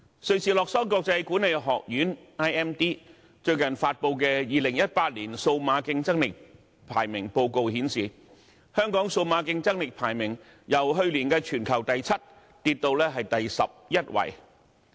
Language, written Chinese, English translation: Cantonese, 瑞士洛桑國際管理發展學院最近發布的 "2018 年數碼競爭力排名報告"顯示，香港數碼競爭力排名由去年的全球第七位下跌至第十一位。, As shown by the World Competitiveness Yearbook 2018 recently published by the International Institute for Management Development IMD Hong Kongs global ranking in digital competitiveness fell from 7 last year to 11